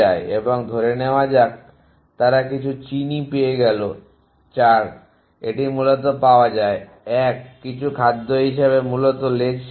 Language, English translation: Bengali, And let us say this is founds some sugar here some 4 it is found essentially 1 some food as the end of the trail essentially